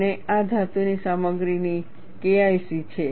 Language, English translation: Gujarati, And this is K1C of metallic materials